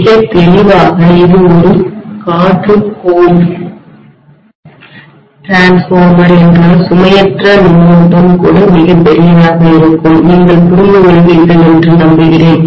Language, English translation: Tamil, Very clearly, if it is an air core transformer even the no load current will be very large, I hope you understand